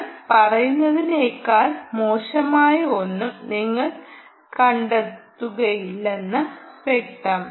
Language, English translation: Malayalam, obviously you will not find anything worse than what i am saying, ah, ok